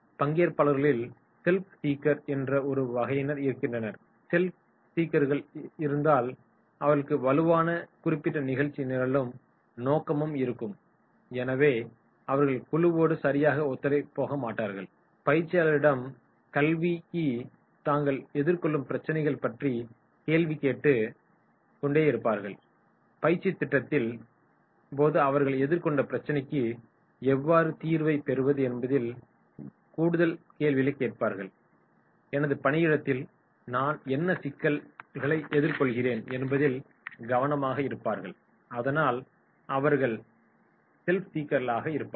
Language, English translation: Tamil, There will be self seeker type of participants, if self seeker type of participants are there then they will have the strong personal agenda and the motive and therefore they will not be go with the group right, they will be more asking questions about the problems which they are facing so they will be asking more questions related to how to get the solution during the training program itself, what problem I am facing at my workplace so that those will be the self seeker